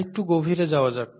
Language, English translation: Bengali, Let’s dig a little deeper